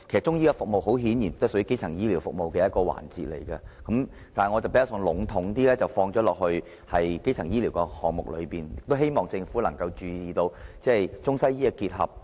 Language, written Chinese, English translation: Cantonese, 中醫服務很顯然也屬於基層醫療服務的一個環節，但我比較籠統地放在基層醫療的項目中，亦希望政府能夠注意到中西醫的結合。, Chinese medicine is obviously a part of primary health care but I put it generally under primary health care and hope that the Government can pay attention to the integration of Chinese and Western medicine